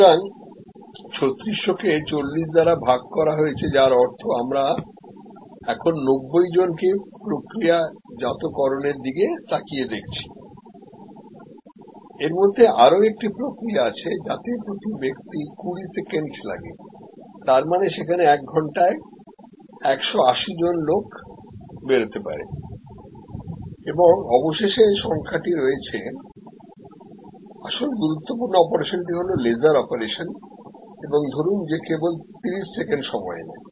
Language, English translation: Bengali, So, which means we are looking at processing 90 people now, 3600 divided by 40, 90 within have a step of 20 second 180 and number of finally, the actual operation critical operation is the laser operation and suppose that takes 30 seconds only